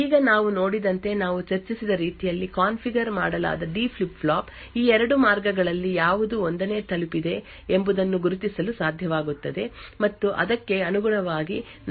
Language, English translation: Kannada, Now as we have seen the the D flip flop which is configured in the way that we have discussed would be able to identify which of these 2 paths has arrived 1st and correspondingly we will be able to switch between 0 and 1